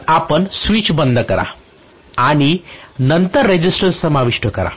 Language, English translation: Marathi, So you cut off the switch and then include a resistance